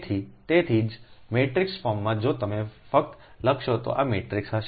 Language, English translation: Gujarati, so thats why, in matrix form, if you write only this matrix will be there